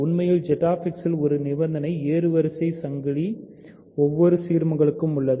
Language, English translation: Tamil, In fact, in Z X ascending chain of a condition holds for every chain of ideals